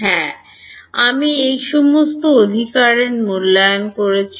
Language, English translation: Bengali, Yes, I have evaluated all of this right